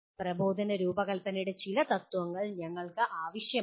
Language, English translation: Malayalam, And we need some principles of instructional design